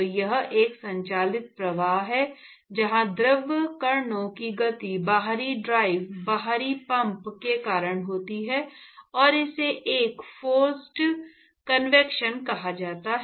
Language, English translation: Hindi, So, that is a driven flow where the motion of the fluid particles is because of the external drive external pump, and that is what is called as a forced convection